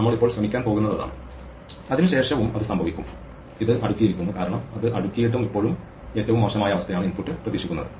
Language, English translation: Malayalam, What we are going to try and do now is and the same thing will happen even after it is sorted because even after it is sorted is still a worst case input expect now it is an ascending order